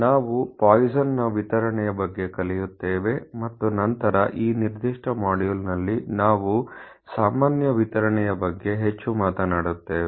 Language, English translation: Kannada, We learn about the Poisson’s distribution and the in this particular module will be talking more about the normal distribution